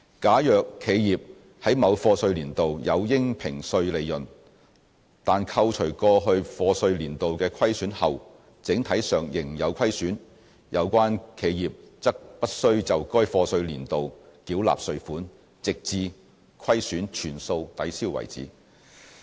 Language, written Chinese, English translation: Cantonese, 假如企業在某課稅年度有應評稅利潤，但扣除過去課稅年度的虧損後整體上仍有虧損，有關企業則不須就該課稅年度繳納稅款，直至虧損全數抵銷為止。, If an enterprise has assessable profits in a year of assessment but is still in an overall loss position after deducting the losses brought forward from previous years of assessment the enterprise concerned is not required to pay tax for that particular year of assessment until the losses are fully set off